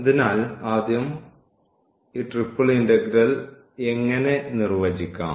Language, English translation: Malayalam, So, first how to define this triple integral